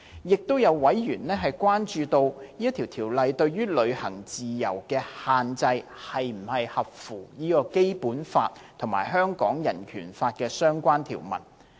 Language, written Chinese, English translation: Cantonese, 亦有委員關注，《條例草案》對於旅行自由的限制是否合乎《基本法》和香港人權法案的相關條文。, Some members have also expressed concern about whether the restriction on freedom to travel imposed by the Bill is in conformity with the relevant provisions of the Basic Law and the Hong Kong Bill of Rights